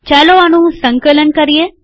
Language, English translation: Gujarati, Lets compile this